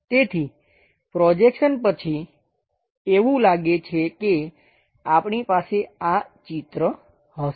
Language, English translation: Gujarati, So, it looks like after projection we will have this picture